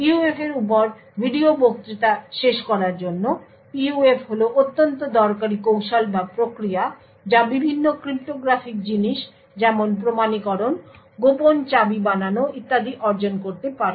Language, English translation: Bengali, To conclude the video lectures on PUF, PUFs are extremely useful techniques or mechanisms to achieve various cryptographic things like authentication, secret key generation and so on